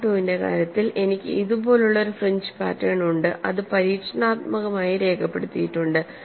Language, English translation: Malayalam, In the case of mode 2, I have a fringe pattern like this, which is experimentally recorded